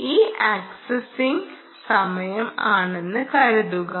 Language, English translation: Malayalam, ok, this is the time axis